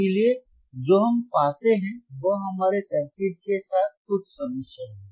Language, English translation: Hindi, So, what we find is, there is some problem with our circuit